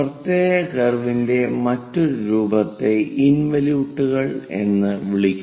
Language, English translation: Malayalam, The other form of special curve is called involute